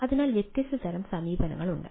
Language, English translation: Malayalam, so there are different ah type of approaches